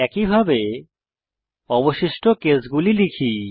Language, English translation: Bengali, Similarly, let us type the remaining cases